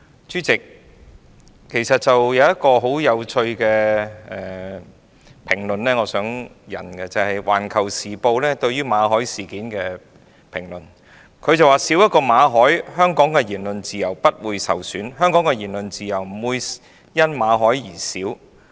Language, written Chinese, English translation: Cantonese, 主席，我想引述一項很有趣的評論，就是《環球時報》對馬凱事件的評論，它表示"少一個馬凱，香港的言論自由不會受損"，即香港的言論自由不會因為馬凱而減少。, President I would like to quote a very interesting comment which is the comment of Global Times on the Victor MALLET incident . It says One less MALLET will not bring down Hong Kongs freedom of speech meaning that Hong Kongs freedom of speech will not be reduced because of MALLET